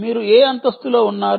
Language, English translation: Telugu, which floor are you in